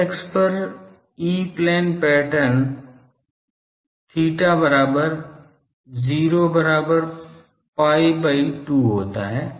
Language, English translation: Hindi, On the z axis the e plane pattern is theta is equal to 0 is equal to pi by 2